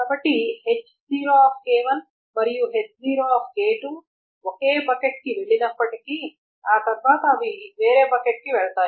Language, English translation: Telugu, So even though H0 K1 and H0 K2 is the same, it goes to the same thing, it goes to different buckets after that